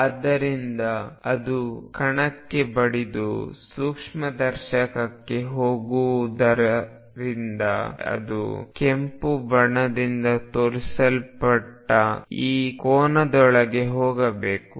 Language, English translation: Kannada, So, that it hits the particle and goes into the microscope if the light hitting the particle goes into microscope it must go within this angle shown by red